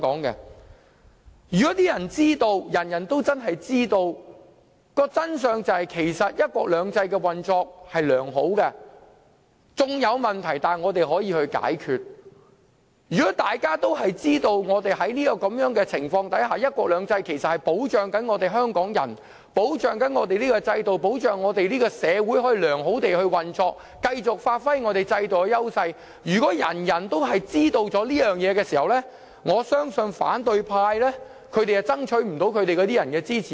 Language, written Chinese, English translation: Cantonese, 如果人人都知道，真相是"一國兩制"運作良好，縱有問題但可以解決；如果人人都知道，"一國兩制"能保障香港人，確保本港制度和社會良好運作，讓我們繼續發揮本港制度的優勢；如果人人都知道這些事實，我相信反對派將無法爭取市民支持。, If everyone knows the truth that one country two systems is operating so well that even if it runs into problems they can be resolved; if everyone knows that one country two systems can protect Hong Kong people and ensure the good operation of the system and society of Hong Kong so that we can continue to capitalize on the strengths of our system; if everyone knows these facts I believe the opposition camp will not be able to win the support of the public